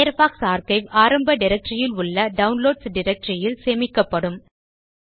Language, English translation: Tamil, This will save Firefox archive to the Downloads directory under the Home directory